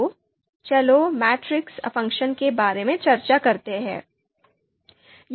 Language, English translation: Hindi, So first, we will start with comparison matrix matrices for alternatives